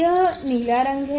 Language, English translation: Hindi, this is a blue color